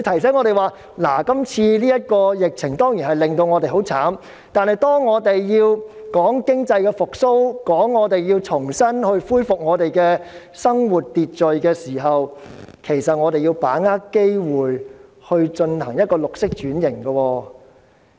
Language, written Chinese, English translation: Cantonese, 這次的疫情當然令我們很慘，但當我們要談經濟復蘇、重新恢復生活秩序時，我們要把握機會進行綠色轉型。, The outbreak is of course dealing a severe blow to us but when we are talking about economic recovery and the resumption of normal life we must grasp the opportunity to take forward green transformation